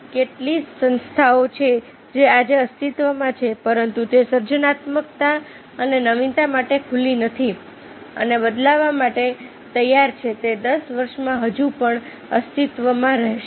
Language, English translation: Gujarati, how many organization that exist today but they are not open to creativity and innovation and willing to change will still exist in ten years